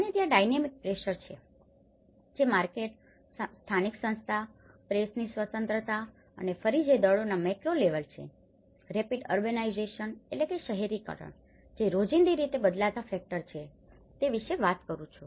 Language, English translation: Gujarati, And there is a dynamic pressures, which is talking about the market, the local institutions, the press freedom and which are again the macro level of forces, the rapid urbanizations which are everyday changing factors